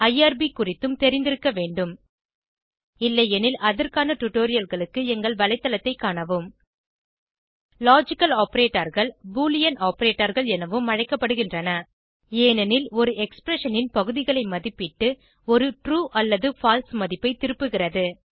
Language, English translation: Tamil, You must also be familiar with irb If not, for relevant tutorials, please visit our website Logical Operators are also known as Boolean Operators because they evaluate parts of an expression and return a true or false value